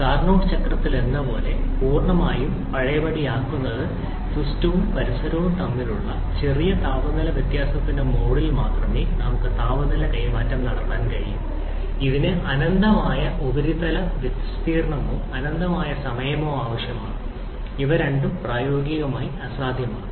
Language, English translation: Malayalam, We can have heat transfer only in the mode of infinitesimally small temperature difference between the system and the surrounding which requires either an infinite surface area or infinite amount of time, both of which are practically impossible